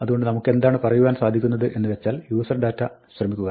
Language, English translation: Malayalam, So, what we can say is, try userdata